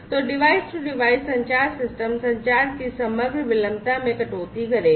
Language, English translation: Hindi, So, device to device communication will cut down on the overall latency of communication in the system